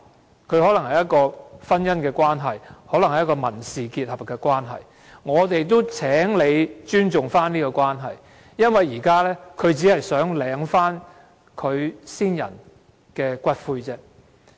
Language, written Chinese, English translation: Cantonese, 他們可能有婚姻或民事結合的關係，而我們希望政府尊重這種關係，因為他們只是想領回其先人的骨灰。, We hope that the Government can respect the relationships established by virtue of marriage or civil union since the persons involved merely wish to collect the ashes of the deceased